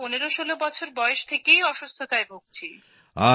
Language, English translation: Bengali, I got sick when I was about 1516 years old